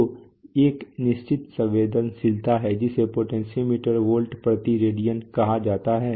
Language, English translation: Hindi, So there is a certain sensitivity called of the potentiometer is volts per Radian